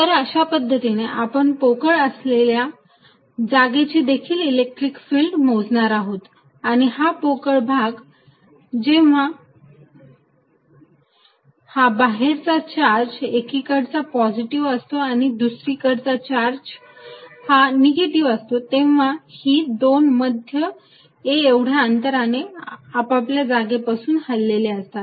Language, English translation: Marathi, So, in a way we are also calculating the electric field in a hollow region, this is hollow region when charge outside on one side is positive and charge on the other side is negative, these two centres are displaced by some distance a